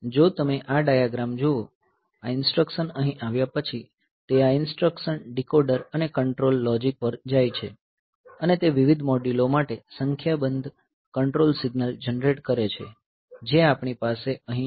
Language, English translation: Gujarati, So, if you look into this diagram, so, this after this instruction has reached here, so, it goes to this instruction decoder and control logic and it generates a number of control signals for various modules that we have here